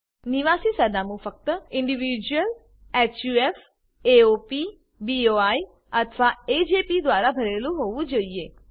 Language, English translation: Gujarati, Residential address should be filled only by Individuals, HUF, AOP, BOI or AJP